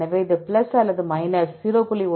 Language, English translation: Tamil, So, this may plus or minus 0